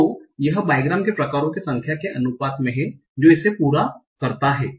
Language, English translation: Hindi, So this is proportional to the number of bygram types it completes